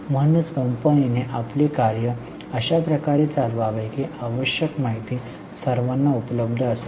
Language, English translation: Marathi, So, company should run its affairs in such a way that necessary information is available to all